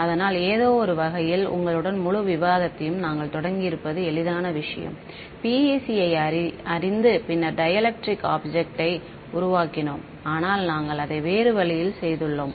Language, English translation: Tamil, So, in some sense it is the easier thing we could have started the whole discussion with you know PEC and then built it to dielectric objects, but we have done in that other way